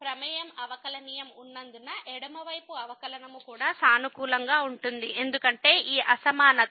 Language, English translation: Telugu, Since the function is differentiable that left derivative will be also positive because this inequality is greater than equal to